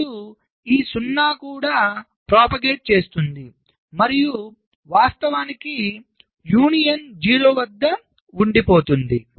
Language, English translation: Telugu, then this zero will also propagate and of course, union up stuck at zero